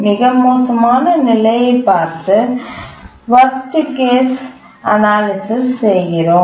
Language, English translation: Tamil, We look at the worst case and do a worst case analysis